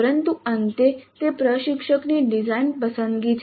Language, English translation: Gujarati, Beyond that it is instructor's choice